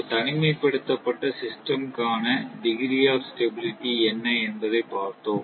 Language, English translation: Tamil, So, we have seen that degree, degree of stability for a, you know for an isolated system